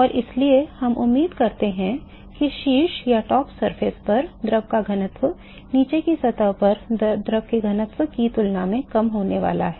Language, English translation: Hindi, And so, we expect that the density of the fluid at the top surface is going to be lower, than the density over fluid at the bottom surface